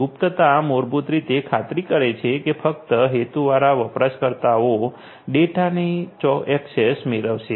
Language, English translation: Gujarati, Confidentiality basically ensures that only the intended users will get access to the data